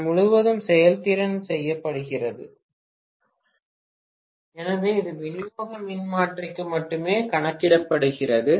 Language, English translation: Tamil, All day efficiency is done only for, so this is calculated only for distribution transformer